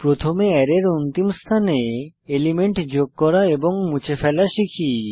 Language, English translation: Bengali, Let us first learn how to add and remove elements from last position of an Array